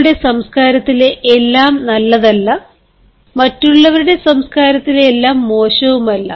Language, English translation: Malayalam, not everything in your culture is good and not everything in others culture is bad